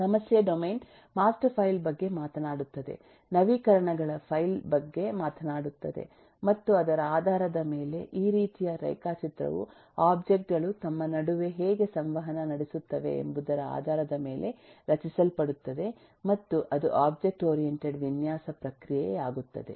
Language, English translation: Kannada, the problem domain talks about a master file, talks about a file of updates and so on, and based on that, this kind of a eh diagram is getting created in terms of how the objects will interact between themselves, and that’s the core of the object oriented design process